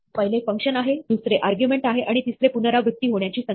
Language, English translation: Marathi, The first is the function, the second is the argument, and the third is the number of times, the repetitions